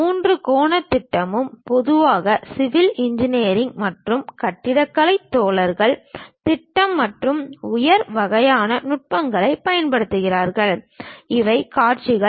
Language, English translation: Tamil, And also third angle projection, perhaps typically civil engineers and architecture guys use plan and elevation kind of techniques, these are views